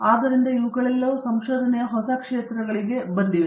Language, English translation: Kannada, So, all these have given raise to new areas of research